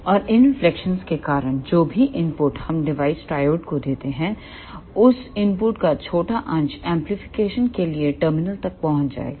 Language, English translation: Hindi, And because of these reflections ah whatever input we give to the device triode, the small fraction of that input will reach to the terminal for amplification